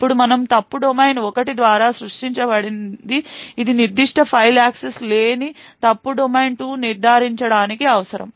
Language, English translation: Telugu, Now we need to ensure that fault domain 2 does not have access to that particular file which has been created by fault domain 1